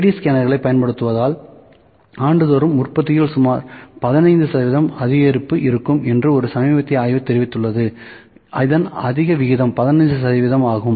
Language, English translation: Tamil, A recent study has reported it that there would be about 15 percent increase in the production using 3D scanners annually so, this is high rate 15 percent